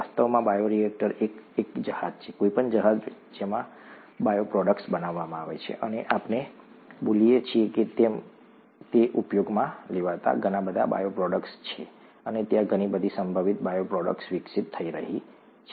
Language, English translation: Gujarati, In fact, a bioreactor is a vessel, any vessel in which bioproducts are made, and there are so many bioproducts of use as we speak and there are many more potential bioproducts being developed